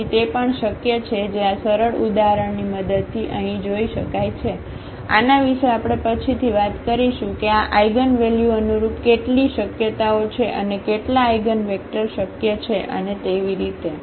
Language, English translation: Gujarati, So, that is also possible which can be seen here with the help of this simple example; more on this we will be talking about later that what are the possibilities corresponding to 1 this eigenvalues how many eigenvectors are possible and so on